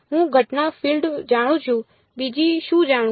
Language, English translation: Gujarati, I know the incident field what else do I know